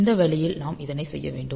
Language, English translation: Tamil, So, this way we can do this thing like